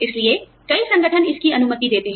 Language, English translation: Hindi, So, many organizations, allow this